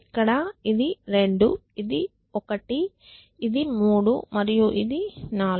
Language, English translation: Telugu, So, this is 2; this is 1; this is 3 and this is 4